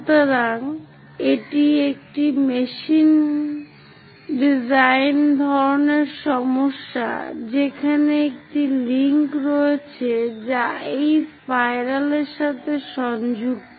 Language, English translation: Bengali, So, it is a machine design kind of problem where there is a link which is connected to this spiral